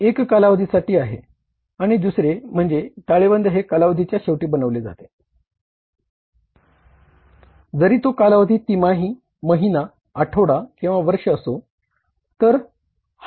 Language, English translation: Marathi, One is for the period and other is balance sheet is at the end of that is as on or as at the last day of the period whether it is quarter month week or the the year